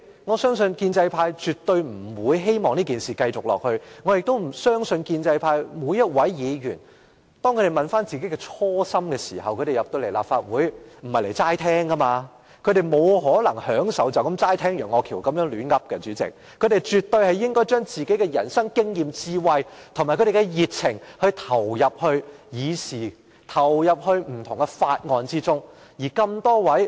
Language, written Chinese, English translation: Cantonese, 我相信建制派絕對不會希望這情況繼續下去，我亦不相信每一位建制派議員，他們進入立法會的初心，並非只來聽人家發言，他們沒可能只想聽楊岳橋在這裏胡說八道，他們絕對應該將自己的人生經驗、智慧和熱情投入議會事務，投入不同的法案審議工作中。, I believe that the pro - establishment camp definitely does not wish to see this situation continue and I also believe that each Member of the pro - establishment camp did not join the Legislative Council with the intent of merely listening to other Members speak . They cannot possibly just want to listen to Alvin YEUNGs nonsense . They surely want to contribute their experience in life wisdom and passion to Council business and engage in the scrutiny of various bills